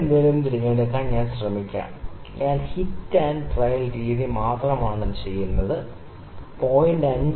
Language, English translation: Malayalam, Let me try to pick some, I am just doing hit and trial method let me try to pick 0